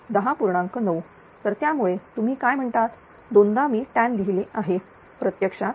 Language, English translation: Marathi, So, that is why this your what you call twice I have written tan it is actually 432